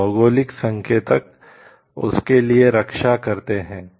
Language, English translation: Hindi, So, the geographical indicators protect for that